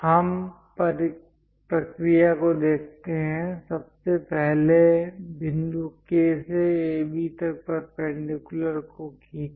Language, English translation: Hindi, Let us look at the procedure; first of all, draw a perpendicular to AB from point K, this is the object to what we have to do